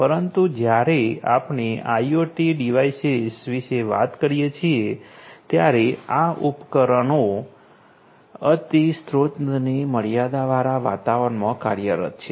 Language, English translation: Gujarati, But when you are talking about IoT devices, these devices are operating in highly resource constrained environments right